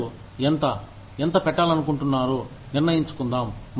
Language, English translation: Telugu, Let people decide, how much, they want to put in